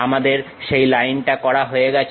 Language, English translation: Bengali, We are done with that Line